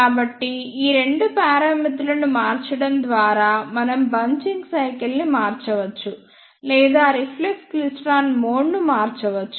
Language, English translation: Telugu, So, by varying these two parameters we can change the bunching cycle or we can change the mode of the reflex klystron